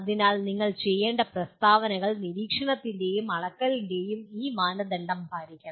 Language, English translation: Malayalam, So the statements that you have to make should satisfy this criteria of observability and measurability